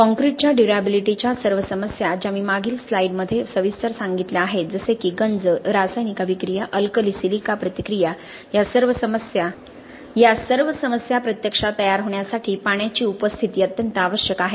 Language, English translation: Marathi, For all durability problems of concrete which I have talked about in the previous slide corrosion, chemical attack, Alkali–silica reaction, DEF for all these problems to actually get manifested, the presence of water is absolutely necessary